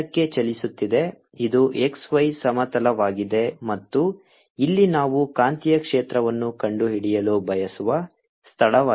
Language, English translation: Kannada, this is the x, y plane and here is the point where we want to find the magnetic field